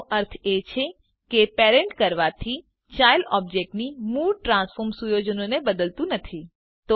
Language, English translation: Gujarati, This means that parenting does not change the original transform settings of the child object